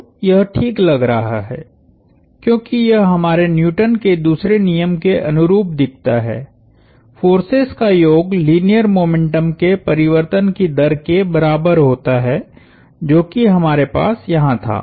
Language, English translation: Hindi, So, this looks nice, because this looks analogous to our Newton's second law, the sum of forces equals rate of change of linear momentum that is what we had